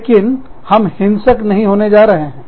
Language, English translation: Hindi, But, we are not going to become, violent